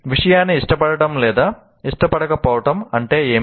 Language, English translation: Telugu, What do you mean by liking or disliking the subject